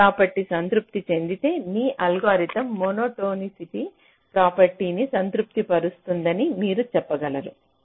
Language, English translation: Telugu, if this property satisfied, you can say that your algorithm satisfies the monotonicity property